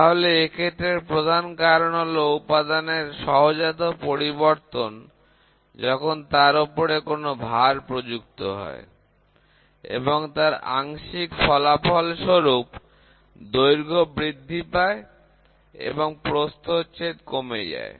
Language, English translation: Bengali, So, the main reason is an intrinsic change in the material while under load, but part of the effect is the increase in length and reduction in cross section